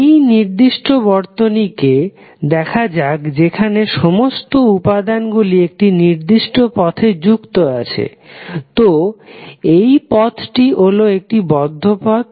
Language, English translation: Bengali, Let us see this particular circuit where all elements are connected in in in a particular loop, so this loop is closed loop